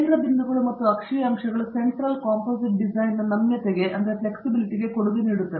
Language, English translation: Kannada, The center points and the axial points contribute to the flexibility of the Central Composite Design